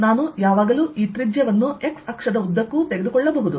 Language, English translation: Kannada, i can always take this radius to be along the x axis